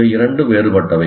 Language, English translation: Tamil, These two are different